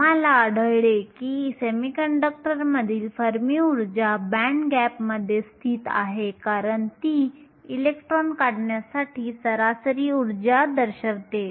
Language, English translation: Marathi, We find that the fermi energy in the semiconductor is located within the band gap because it represents the average energy to remove the electron